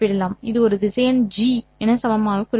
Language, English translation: Tamil, This would be represented equivalently as a vector G